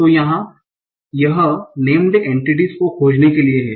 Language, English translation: Hindi, So here it is for finding named entities